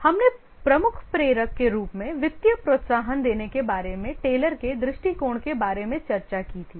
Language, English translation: Hindi, We had discussed about the Taylor's approach about giving financial incentive as the major motivator